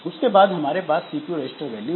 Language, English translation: Hindi, Then we have got the CPU registered values